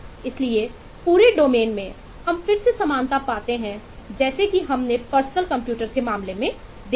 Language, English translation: Hindi, so across domain, we find commonality here, as again, as we saw in case of the personal computer